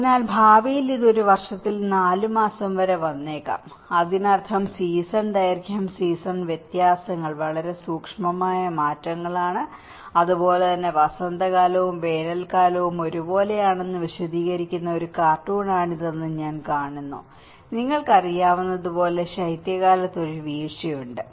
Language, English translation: Malayalam, So, maybe in future it may come up to 4 months in a year so, which means that season duration, the season variances are very subtle changes are there, and similarly, we see that this is a cartoon explaining the spring and summer looks the same, and there is a fall on winter looks the same you know